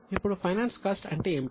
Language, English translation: Telugu, Now what do you mean by finance cost